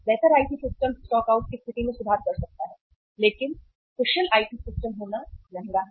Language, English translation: Hindi, Improved IT systems may improve the stockouts situation but it is expensive to have IT have efficient IT systems